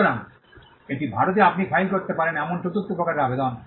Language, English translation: Bengali, So, that is the fourth type of application you can file in India